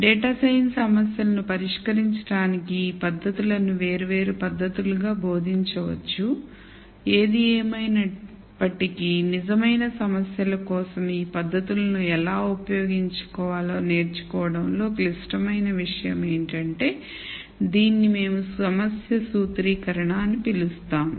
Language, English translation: Telugu, One could teach these techniques as disparate set of methods to solve data science problems; however, the critical thing is in learning how to use these techniques for real problems which is what we call as problem formulation